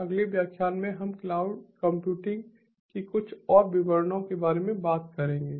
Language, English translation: Hindi, in the next lecture we will talk about some more details of cloud computing, thank you